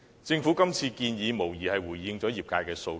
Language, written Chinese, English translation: Cantonese, 政府今次的建議，無疑是回應了業界的訴求。, The Governments current proposal is made in answer to the call of the industry for sure